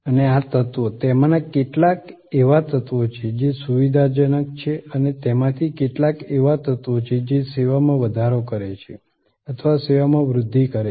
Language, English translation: Gujarati, And these elements, some of them are elements, which are facilitating and some of them are elements, which are augmenting the service or enhancing the service